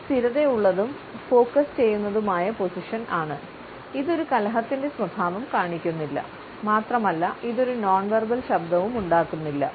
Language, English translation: Malayalam, This is a stable and focus position it does not show any belligerence it also does not showcase any nonverbal noise